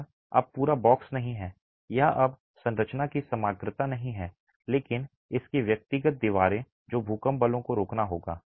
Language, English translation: Hindi, It is no longer the whole box, it is no longer the totality of the structure but its individual walls which will have to fend off the earthquake, earthquake forces